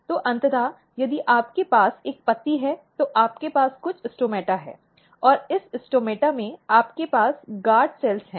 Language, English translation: Hindi, So, eventually if you have a leaf, you have some stomata, and in this stomata, you have guard cells